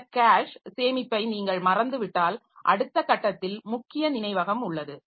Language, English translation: Tamil, If you forget about this cache at the next level we have got main memory